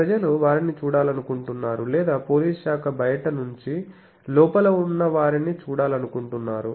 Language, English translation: Telugu, So, people want to see police department want to see from outside who is there inside